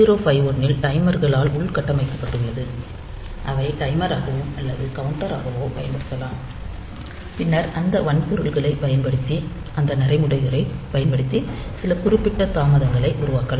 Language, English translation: Tamil, So, 8051 has got built in timers they can be used either as timer or as counter and then we can produce some specific delays using those routines using those hardware